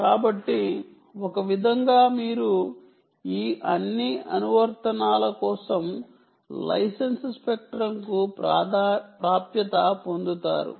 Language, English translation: Telugu, so in a way, you get access to the license spectrum for all these applications